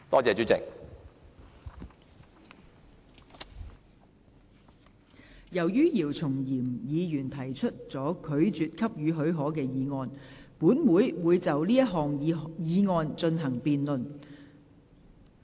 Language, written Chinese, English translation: Cantonese, 由於姚松炎議員提出了拒絕給予許可的議案，本會會就這項議案進行辯論。, As Dr YIU Chung - yim has moved the motion that the leave be refused this Council shall proceed to a debate on this motion